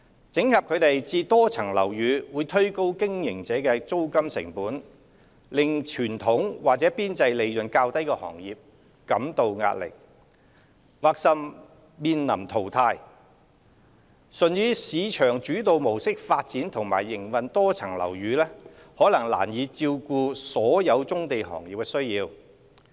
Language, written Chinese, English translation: Cantonese, 整合它們至多層樓宇會推高經營者的租金成本，令傳統或邊際利潤較低的行業感到壓力，甚或面臨淘汰，純以市場主導模式發展和營運多層樓宇可能難以照顧所有棕地行業的需要。, Consolidating these operations into MSBs will drive up the rental costs of operators posing pressure on traditional or lower - margin industries which may even be phased out . Development and operation of MSBs under a market - led approach may not on its own address the needs of all brownfield industries